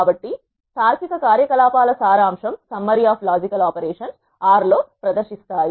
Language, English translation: Telugu, So, this is the summary of logical operations that can be performed in R